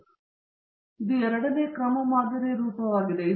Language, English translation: Kannada, So, this is the form of the second order model